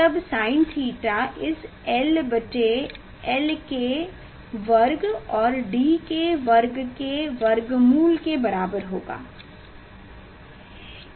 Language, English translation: Hindi, then sine theta will be this l divided by square root of l square plus d square